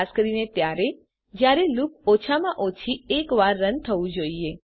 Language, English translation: Gujarati, Specially, when the loop must run at least once